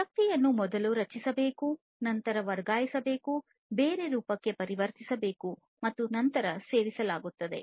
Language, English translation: Kannada, So, basically the energy has to be first created, the energy is then transferred, transformed into a different form, and then gets consumed